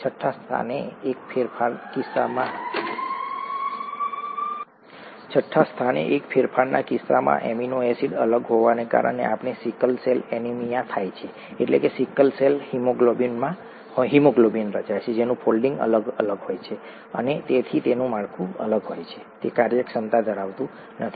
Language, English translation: Gujarati, In the case of one change at the sixth position, the amino acid being different, we get sickle cell anaemia, that is because of sickle cell haemoglobin being formed, which has different folding and therefore different, it does not have the functionality that is associated with the normal haemoglobin